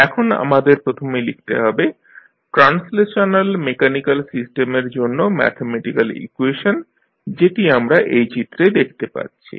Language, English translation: Bengali, So, let us first write the mathematical equation for the translational mechanical system, which you are seeing in the figure